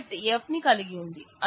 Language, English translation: Telugu, This set also has F